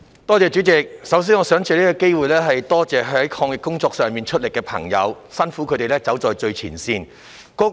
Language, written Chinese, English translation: Cantonese, 代理主席，首先，我想藉此機會感謝在抗疫工作上出力的朋友，他們走在最前線，辛苦了。, Deputy President first of all I would like to take this opportunity to express my gratitude to the people who have contributed to the fight against the epidemic . They are at the frontline and have worked hard